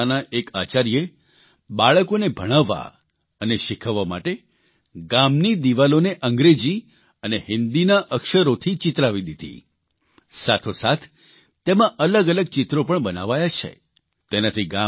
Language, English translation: Gujarati, A principal of a middle school there, in order to teach and help the children learn, got the village walls painted with the letters of the English and Hindi alphabets ; alongside various pictures have also been painted which are helping the village children a lot